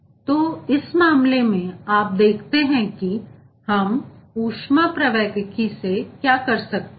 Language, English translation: Hindi, so you, in this case you, see what we can do from the thermodynamics